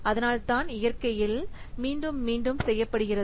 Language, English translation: Tamil, So, that's why it is repeatable in nature